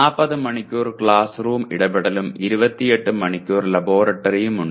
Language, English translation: Malayalam, There are 40 hours of classroom interaction and 28 hours of laboratory